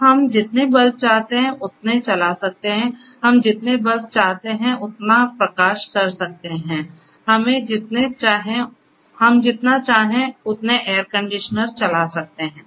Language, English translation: Hindi, So, we can run as many bulbs that we want, we can light as many bulbs that we want, we can run as many air conditioners that we want and so on